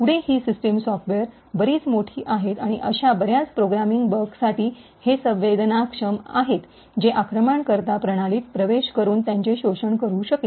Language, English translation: Marathi, Further, these systems software are quite large, and they are susceptible to a lot of such programming bugs which could be a way that an attacker could enter and exploit the system